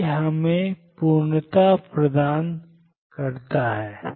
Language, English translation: Hindi, This is what completeness is given us